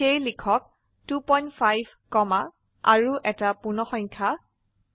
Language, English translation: Assamese, So type 2.5 comma and an integer 3